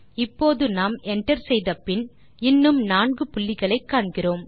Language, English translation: Tamil, Now when we hit Enter, we still see the four dots